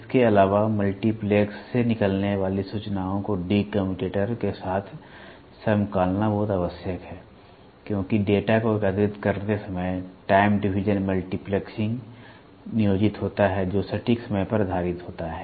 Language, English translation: Hindi, Further, it is very much essential to synchronize the information that is coming out of the multiplexer exactly with the de commutator, since the time division multiplexing is employed while collecting the data which is based on the precise timing